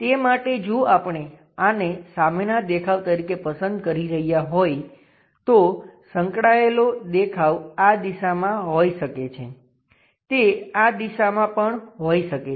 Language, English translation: Gujarati, For that, if we are picking this one as the front view, the adjacent view it can be in this direction it can be in that direction also